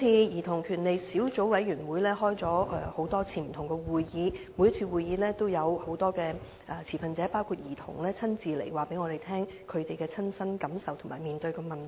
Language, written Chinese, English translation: Cantonese, 兒童權利小組委員會曾召開多次會議，而每次會議也有不同持份者包括兒童親身出席，告訴我們其親身感受及所面對的問題。, The Subcommittee on Childrens Rights has held a number of meetings and each meeting was personally attended by different stakeholders including children who told us their personal feelings and the problems faced by them